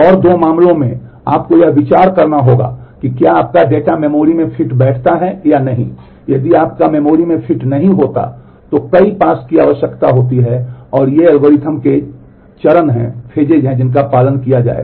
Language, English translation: Hindi, And there are two cases you have to consider whether your data fits into the memory otherwise if your it does not fit into the memory then multiple passes are required and these are the steps of the algorithm that will be followed